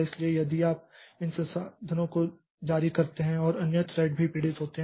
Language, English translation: Hindi, So if you release these resources and other threads will also suffer